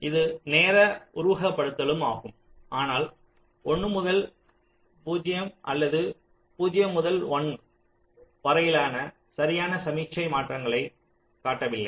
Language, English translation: Tamil, this is also timing simulation, but we are not showing exact signal transitions from one to zero or zero to one